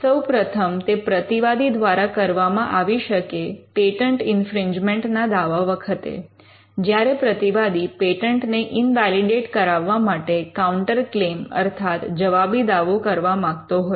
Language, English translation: Gujarati, One, it could be generated by a defendant in a patent infringement suit; where the defendant wants to raise a counterclaim to invalidate the patent